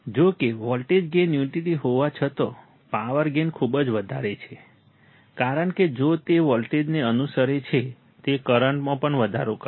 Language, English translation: Gujarati, However, although the voltage gain is unity, the power gain is very high, because although it follows the voltage, it will also increase the current